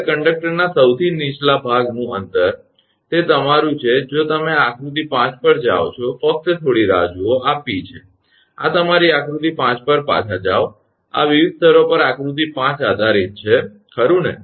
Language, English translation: Gujarati, Now, distance of the lowest part of the conductor, that is your if you go to figure 5, just hold on right this is P this is go back to your figure 5, this is figure 5 right supports at different levels